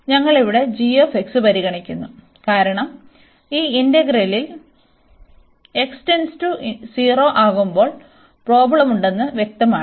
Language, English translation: Malayalam, So, we consider here g x, because the problem is clear we have in this integrand as x approaching to 0